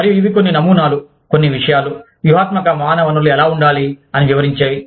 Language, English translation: Telugu, And, these are some of the models, some of the things, that explain, how the strategic human resources, need to be